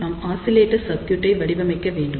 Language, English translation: Tamil, Now, what we need to do we need to design the oscillator circuit